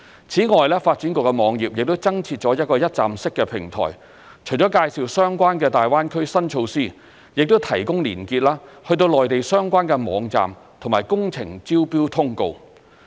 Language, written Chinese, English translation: Cantonese, 此外，發展局網頁亦增設了一個一站式平台，除了介紹相關的大灣區新措施，亦提供連結至內地相關網站和工程招標通告。, Moreover a one - stop platform has been added to the website of the Development Bureau to introduce new related initiatives in the Greater Bay Area and provide links to the relevant Mainland websites and tender notices of construction projects in the Mainland